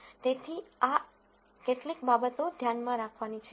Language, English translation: Gujarati, So, that is one thing to keep in mind